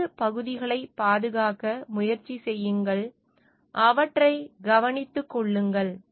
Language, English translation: Tamil, And try to protect the left portions, and take care of those